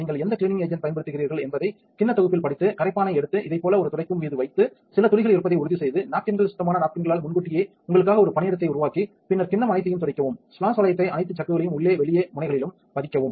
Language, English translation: Tamil, So, read on the bowl set which cleaning agent you are using and take the solvent put it on a napkin like this make sure if there are some drops place the napkins make a workspace for yourself in advance with clean napkins and then wipe everything the bowl, the inlay the splash ring all the chucks inside outside nozzles everywhere